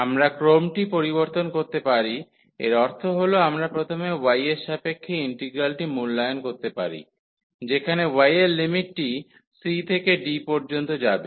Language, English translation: Bengali, We can change the order; here meaning that we can first evaluate the integral with respect to y, where the limits of y will go from c to d